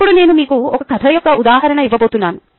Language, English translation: Telugu, i am going to give you a example of a story